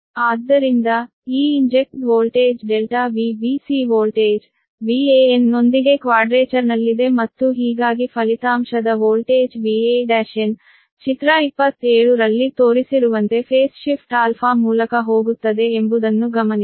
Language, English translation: Kannada, therefore, note that this injected voltage, delta v b c is in quadrature with the voltage v a n and thus the resultant voltage v a dash n goes through a phase shift alpha, as shown in figure twenty seven